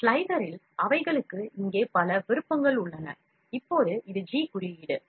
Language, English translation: Tamil, In slicer they have multiple options here, now this is G code